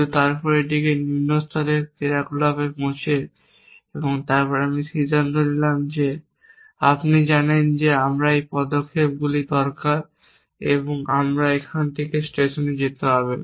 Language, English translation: Bengali, But then decompose it in lower level actions the, and then I decide that you know I need these steps I need go from here to station all